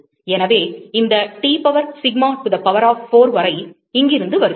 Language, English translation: Tamil, So, this T power, sigma T to the power of 4 essentially comes from here